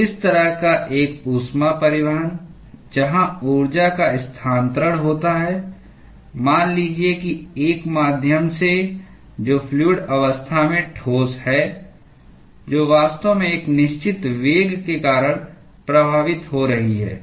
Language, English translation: Hindi, So, such kind of a heat transport, where the energy is transferred let us say from one medium which is solid into a fluid phase, which is actually flowing due to certain /with the certain velocity